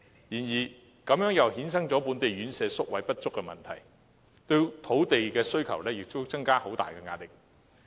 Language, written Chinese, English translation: Cantonese, 這亦衍生了本地院舍宿位不足的問題，並對土地的需求增加了很大壓力。, This has given rise to a shortage in residential care home places and added substantial pressure on the demand for land